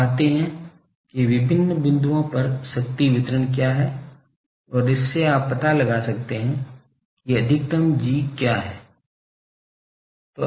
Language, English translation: Hindi, You find what is the power distribution at various point and from that you can find out what is the maximum G